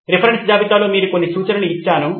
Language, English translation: Telugu, I have given you a few references as well in the reference list